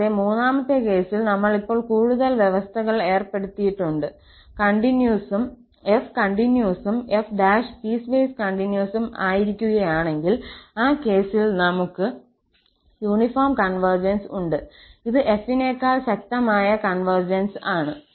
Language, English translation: Malayalam, And in the third case, we have imposed more conditions now, that if f is continuous and this f prime is piecewise continuous then, in that case, we have the uniform convergence, the stronger convergence on f